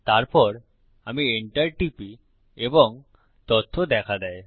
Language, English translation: Bengali, Then I press enter and the data is displayed